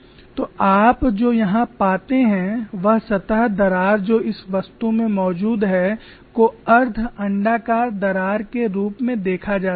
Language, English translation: Hindi, So what you find here is the surface crack which is present in this object can be model as a semi elliptical crack